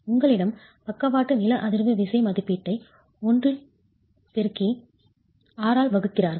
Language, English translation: Tamil, You have the lateral seismic force estimate multiplied by I and divided by R